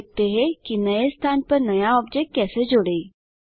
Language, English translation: Hindi, Now let us see how we can add a new object to a new location